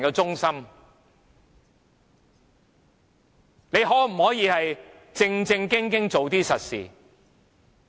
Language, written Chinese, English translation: Cantonese, 政府可否正正經經做實事？, Can the Government do some real work seriously?